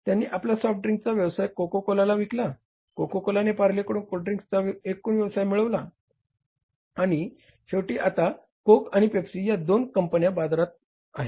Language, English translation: Marathi, Coca Cola acquired the total soft drink business from the Parley's and finally now the two companies are there in the market, Coke and the Pepsi